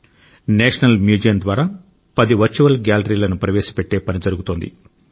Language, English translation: Telugu, National museum is working on introducing around ten virtual galleries isn't this interesting